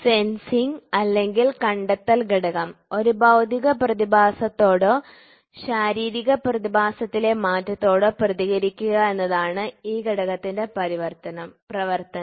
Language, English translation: Malayalam, The sensing or detecting element; the function of the element is to respond to a physical phenomenon or a change in the physical phenomenon